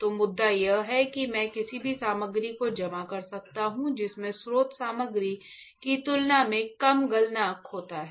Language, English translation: Hindi, So, the point is I can deposit any material which has a lower melting point significantly lower melting point compare to the source material